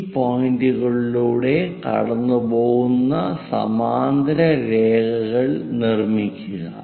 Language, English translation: Malayalam, Construct parallel lines which are passing through these points